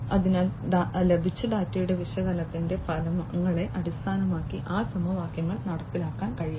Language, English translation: Malayalam, So, those equations can be performed, based on the results of analysis of the data that is obtained